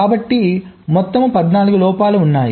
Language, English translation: Telugu, so there are ah total of fourteen faults